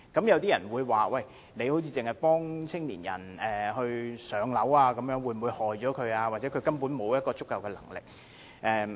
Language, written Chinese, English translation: Cantonese, 有人會說政府只協助年青人"上樓"，會否反而害苦了他們，因為他們或許根本沒有足夠的能力。, Some people may question whether the Government in addressing the housing needs of young people only would on the contrary do a disservice to them for they may not have the means to afford it